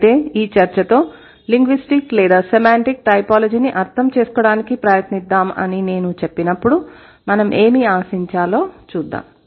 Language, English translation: Telugu, So, with this discussion, let's see what should we expect when I say let's try to understand linguistic or semantic typology